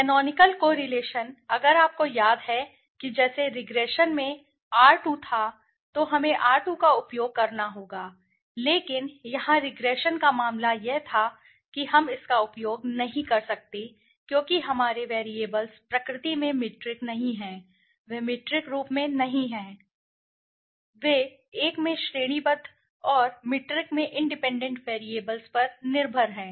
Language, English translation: Hindi, Canonical correlation, If you remember just like we had r2 in regression we use to have r2 but that was the case of regression here we cannot use that because here our variables are not metric in nature they are not in metric form, they are one in dependence in categorical and the independent variables in metric